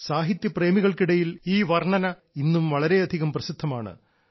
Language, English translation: Malayalam, These poems are still very popular among literature lovers